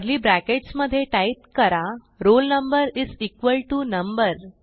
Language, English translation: Marathi, Within curly brackets, type roll number is equal to number